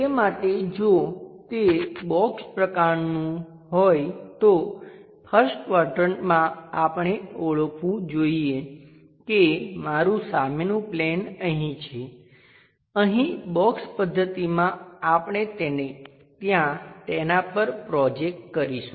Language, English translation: Gujarati, For that purpose if it is box kind of thing first quadrant we have to identify is my front plane here, here in box method we will straight away project it on to that